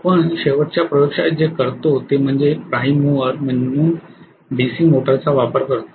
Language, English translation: Marathi, What we do in the last laboratory is to use a DC motor as a prime mover